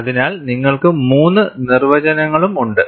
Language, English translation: Malayalam, So, you have all three definitions